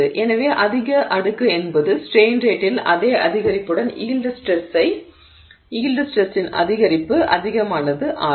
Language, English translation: Tamil, So, the higher the exponent, the greater is the increase in the yield stress for the same increase in the strain rate